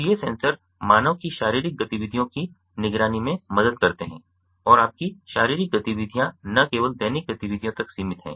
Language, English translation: Hindi, so these sensors help in monitoring the physical activities of human and your physical activities not only restricts to daily activities